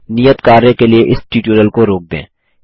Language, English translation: Hindi, Pause this tutorial for the assignment